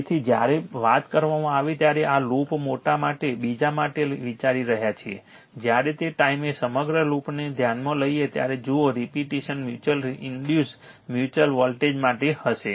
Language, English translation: Gujarati, So, when you talking when you are considering for ith second this loop bigger one, when you considering the whole one at the time see the repetition will be there for the mutual induce mutual voltage right